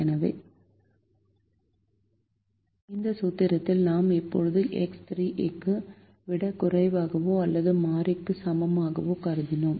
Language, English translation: Tamil, so this: in this formulation we have now assumed x three to be a less than or equal to variable